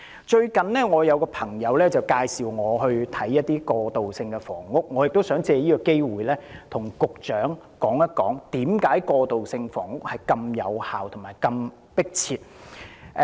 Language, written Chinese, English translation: Cantonese, 最近有一位朋友介紹我參觀一些過渡性房屋，我亦想借此機會向局長指出為何過渡性房屋如此有效和迫切。, Recently a friend took me on a visit of some transitional housing . I wish to take this opportunity to point out to the Secretary why transitional housing is so effective and urgently needed